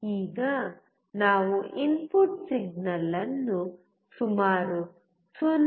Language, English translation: Kannada, Let us now decrease the input signal to about 0